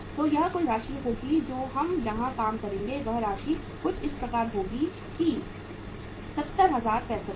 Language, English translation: Hindi, So it will be the total amount which we will work out here is that amount will be something like that 70065 Rs